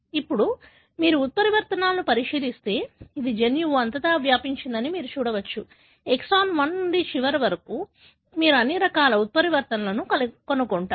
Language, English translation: Telugu, Now, if you look into the mutations, you can see that it is spread all over the gene, right from exon 1 to end of it, you will find all sorts of mutations